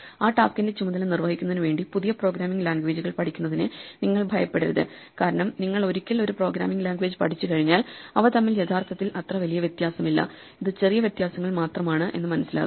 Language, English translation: Malayalam, Do not be afraid of learning programming languages to do the task, because once you have learnt one programming language, it is actually not that much difference between one and the other, it is just minor differences